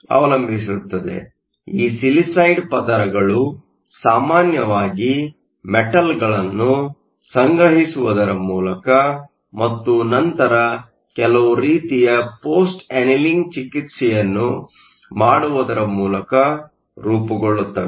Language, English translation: Kannada, So, These silicide layers are usually formed by depositing the metals and then doing some sort of a post annealing treatment